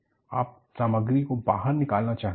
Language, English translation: Hindi, You would like to scoop out material